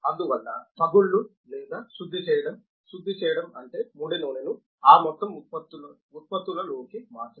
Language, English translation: Telugu, Therefore, the cracking or refining, refining means making the crude oil into those whole products